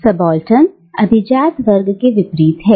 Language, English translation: Hindi, Subaltern is the opposite of the elite